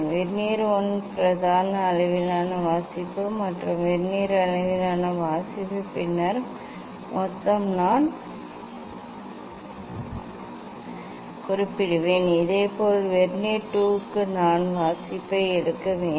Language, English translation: Tamil, for Vernier 1 main scale reading and then Vernier scale reading then total I will note down Similarly, for venire 2 I have to take reading